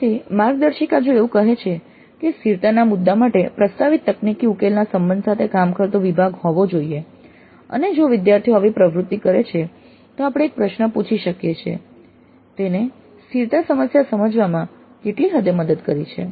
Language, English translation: Gujarati, Again the guidelines if they say that there must be a section dealing with the relationship of the technical solution proposed to the sustainability issue and if the students do carry out such an activity then we can ask a question to what extent it has helped them to understand their sustainability problem